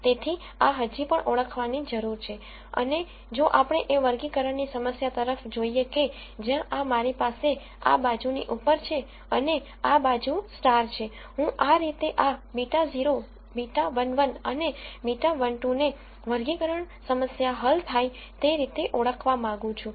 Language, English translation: Gujarati, So, this still needs to be identified and obviously, if we are looking at a classification problem where I have this on this side and stars on this side, I want to identify these beta naught beta 1 beta 1 1 and beta 1 2 such a way this classification problem is solved